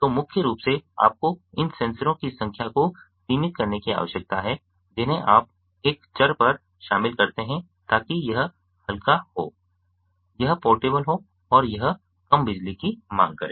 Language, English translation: Hindi, so mainly you need to restrict the number of sensors you go on including on a variable so that it is lightweight, it is portable and it is less power hungry